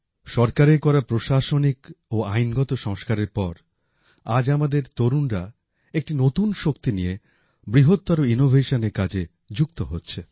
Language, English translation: Bengali, After the administrative and legal reforms made by the government, today our youth are engaged in innovation on a large scale with renewed energy